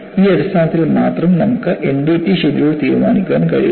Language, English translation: Malayalam, Only on this basis, you would be in a position to decide on the NDT schedule